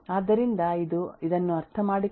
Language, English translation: Kannada, So this is is difficult to comprehend this is easy to comprehend